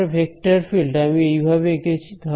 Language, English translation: Bengali, Now my vector field that the way I have drawn it